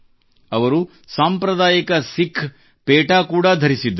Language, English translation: Kannada, He also wore the traditional Sikh turban